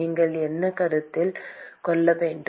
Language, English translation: Tamil, What should you consider